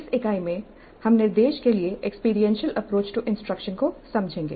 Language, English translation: Hindi, Now we will understand experiential approach to instruction